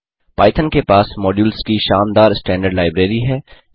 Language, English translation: Hindi, Python has a very rich standard library of modules